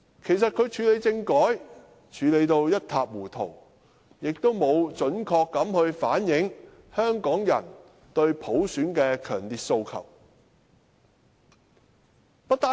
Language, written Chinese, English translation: Cantonese, 其實，他在處理政改一事上做得一塌糊塗，亦沒有準確反映香港人對普選的強烈訴求。, In fact his handling of the constitutional reform was a mess; nor did he accurately reflect the strong aspiration of Hongkongers for universal suffrage